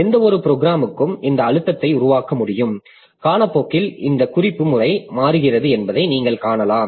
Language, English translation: Tamil, So, for any program you can generate this trace and if you plot it, you can find that this referencing pattern over the time changes